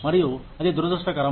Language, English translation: Telugu, And, that is unfortunate